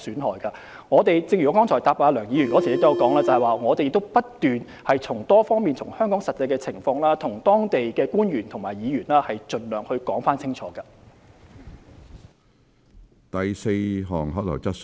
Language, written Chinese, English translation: Cantonese, 正如我剛才答覆梁議員的補充質詢時提到，我們不斷從多方面將香港的實際情況向當地官員和議員盡量作出清楚的解說。, As I stated in responding to Dr LEUNGs supplementary question just now we have been continuously presenting to local officials and members of parliament a clear picture of the actual situation in Hong Kong from various perspectives by all means